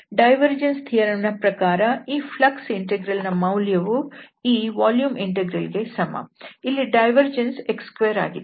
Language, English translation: Kannada, So the divergence theorem says that this flux integral is nothing but this volume integral where we have the divergence here and this is x square